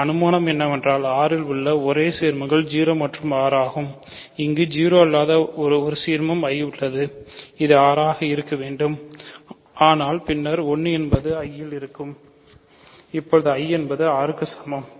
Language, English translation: Tamil, Hypothesis is that the only ideals in R are 0 and R and we have here an ideal I which is not 0, so it must be R, but then 1 belongs to I, 1 belongs to I because 1 is an element of R I is equal to R